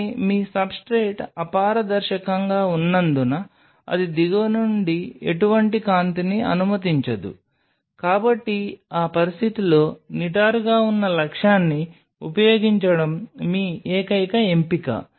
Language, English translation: Telugu, But since your substrate is opaque it is not allowing any light to come from the bottom your only option is to use an upright objective in that situation